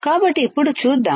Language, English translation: Telugu, So, now let us see